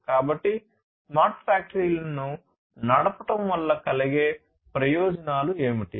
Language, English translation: Telugu, So, what are the advantages of running smart factories